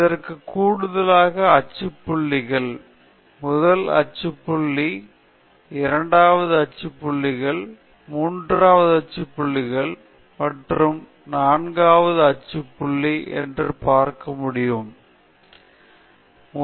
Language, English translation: Tamil, In addition to that, you have the axial points you can see this is the first axial point, second axial point, third axial point and fourth axial point